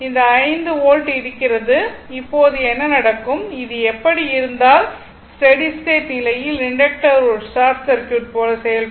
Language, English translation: Tamil, And this 5 volt is there and in that case what will happen and if circuit remains for a I mean if it is like this then at steady state, the inductor will act as a short circuit right